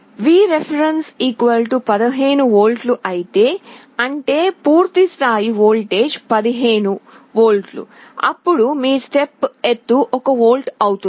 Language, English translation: Telugu, If Vref = 15 V; that means, the full scale voltage is 15V then your step height will be 1 volt